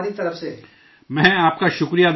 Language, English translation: Urdu, I thank you